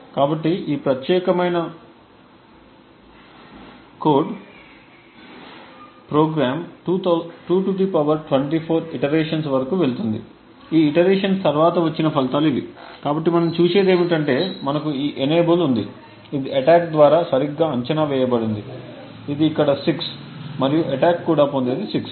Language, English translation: Telugu, So this particular code is program to go up to 2 ^ 24 and these are the results after those iterations, so what we see is that we have this enable which has been predicted correctly by the attack this is 6 over here and what the attack also obtain is 6 however the next byte which is 50 the attack has obtained 7 which is wrong